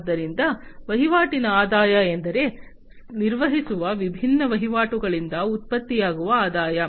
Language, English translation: Kannada, So, transaction revenues means, the revenues that are generated from the different transactions that are performed